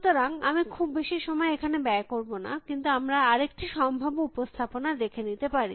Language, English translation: Bengali, So, I will not spend too much time here, but may be will, we will look at one more possible representation